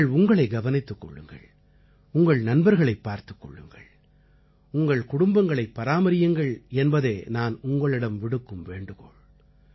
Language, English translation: Tamil, I urge you to take care of yourself…take care of your loved ones…take care of your family